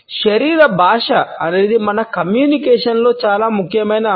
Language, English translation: Telugu, Body language is a very significant aspect of our communication